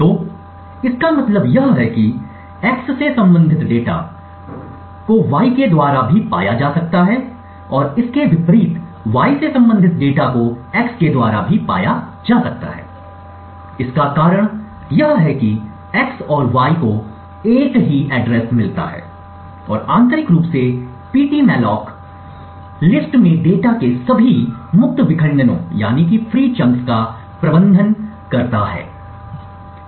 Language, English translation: Hindi, So what this means is that the data corresponding to x can be accessed by y and vice versa the reason this happens that x and y get the same address is that internally ptmalloc manages all the free chunks of data in list